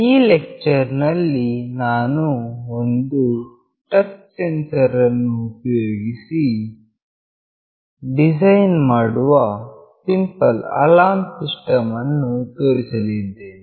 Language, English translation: Kannada, In this lecture, I will be showing the design of a Simple Alarm System using Touch Sensor